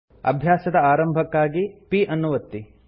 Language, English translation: Kannada, Press p to start practicing